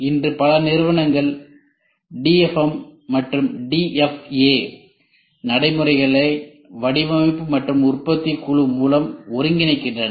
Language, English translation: Tamil, Many companies today are integrating DFM and DFA practices through design and manufacturing team